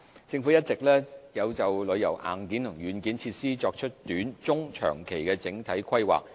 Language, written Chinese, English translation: Cantonese, 政府一直有就旅遊硬件和軟件設施作出短、中及長期的整體規劃。, The Government has all along made overall planning on the hardware and software of tourism in the short - medium - and long - term